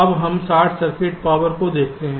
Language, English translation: Hindi, now we look at short circuit power